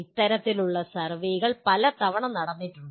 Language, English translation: Malayalam, And this kind of surveys have been done fairly many times